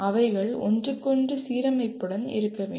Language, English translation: Tamil, They should be in alignment with each other